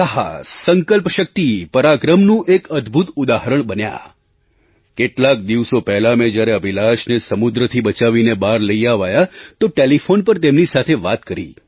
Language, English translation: Gujarati, A rare example of courage, determination, strength and bravery a few days ago I talked to Abhilash over the telephone after he was rescued and brought safely ground